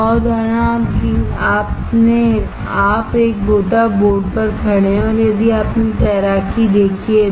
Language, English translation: Hindi, Another example, you stand on a dive board if you have seen swimming